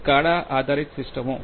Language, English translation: Gujarati, SCADA based systems